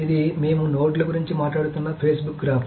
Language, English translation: Telugu, So this is the Facebook graph that I have been talking about